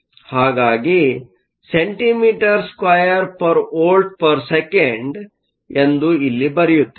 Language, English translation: Kannada, So, let me just write down the units here centimeter square per volts per second